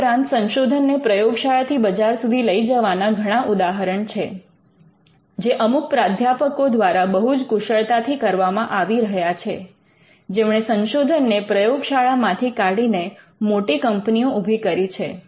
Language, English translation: Gujarati, Now, there are many instances of taking the research from the lab to the market and some of these are being done very professionally by professors who have been instrumental from taking the research from the labs to create great companies